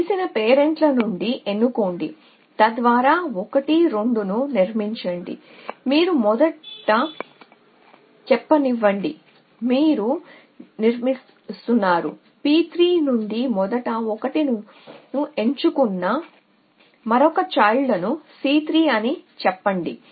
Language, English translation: Telugu, So, choose from known parents so that construct 1 2 so you choose let us say the first so you a constructing lets a c 3 another child we choose the first 1 from p 1